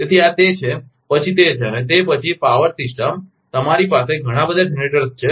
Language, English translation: Gujarati, So, this is and then, and then power system you have so many generators